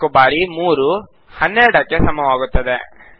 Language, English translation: Kannada, 4 times 3 is equal to 12